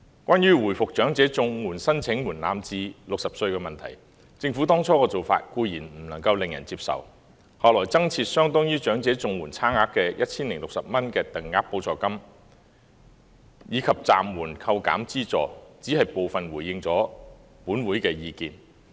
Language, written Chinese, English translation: Cantonese, 關於回復長者綜援申領門檻至60歲的問題，政府當初的做法固然令人不能接受，而後來增設相當於長者綜援差額的 1,060 元就業支援補助金，以及暫緩扣減資助，也只是回應了本會的部分意見。, As regards reverting the age threshold for application for elderly CSSA to 60 the measure taken by the Government initially was certainly unacceptable and the provision of the Employment Support Supplement amounting to 1,060 which is equivalent to the difference with the amount of elderly CSSA and the suspension of the deduction of the subsidy have only responded partially to the views of this Council